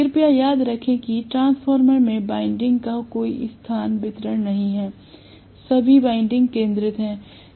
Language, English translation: Hindi, Please remember that in transformer, there is no space distribution of winding, all the windings were concentric and so on and so forth